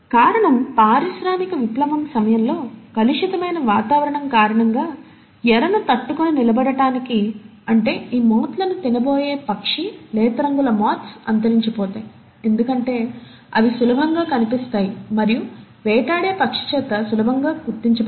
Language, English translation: Telugu, The reason was, that during industrial revolution, because of a polluted environment, in order to survive the prey, that is the bird which will be eating on these moths, the light coloured moths will become extinct because they will become easily visible and will easily be spotted by the preying bird